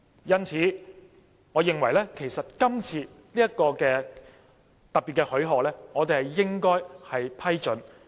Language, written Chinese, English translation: Cantonese, 因此，我認為就今次的特別許可，其實我們應要批准。, So I consider that we should grant special leave in this respect